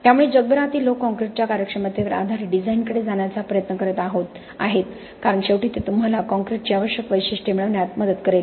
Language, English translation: Marathi, So increasingly the world over people are trying to move towards performance based design of concrete because ultimately that will help you get the required characteristics of the concrete in the structure